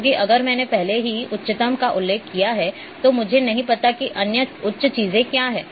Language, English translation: Hindi, Because if I have already mentioned the highest one then I do not know what other higher things are there